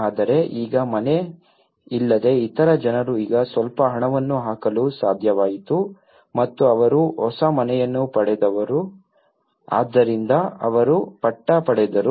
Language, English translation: Kannada, But now, the other people who were not having a house but now they could able to put some money and they got a new house so they got the patta